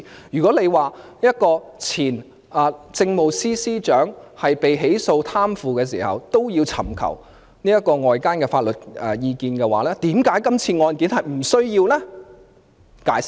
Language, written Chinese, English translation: Cantonese, 如果說前政務司司長被起訴貪腐時也要尋求外間法律意見，為甚麼今次的案件卻不需要？, If DoJ has sought outside legal advice on the case of the former Chief Secretary for Administration for the charge of corruption why it is unnecessary to do so for the present case?